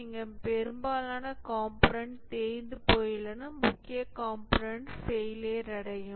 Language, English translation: Tamil, And here most of the components are worn out and the major components start failing